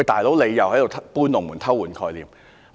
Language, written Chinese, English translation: Cantonese, "老兄"，他們又在"搬龍門"，偷換概念。, Hey buddy they were moving the goalposts and playing the trick of swapping concepts again